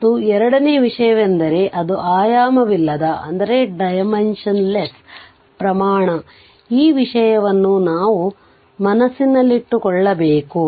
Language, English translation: Kannada, And second thing is it is dimensionless quantity this thing we have to keep it in our mind it is dimensionless quantity